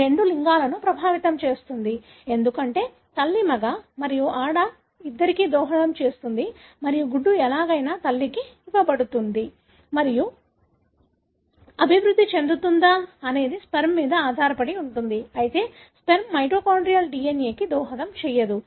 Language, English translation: Telugu, It affects both sexes, because you know mother contributes to both male and female and the egg is anyway, is given by mother and whether it would develop into a male or female depends on the sperm, but sperm doesn’t contribute to the mitochondrial DNA